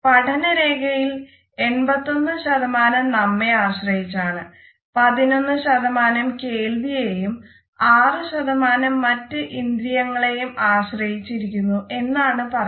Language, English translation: Malayalam, It is said that in the learning curve 83% is dependent on our side, 11% on hearing and 6% on other senses